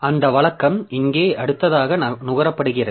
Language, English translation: Tamil, So, so that routine is here next consumed